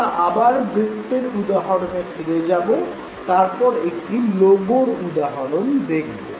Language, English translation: Bengali, Once again we will continue with the example of circles and then again take an example of a logo